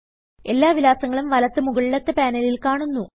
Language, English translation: Malayalam, All the contacts are now visible in the top right panel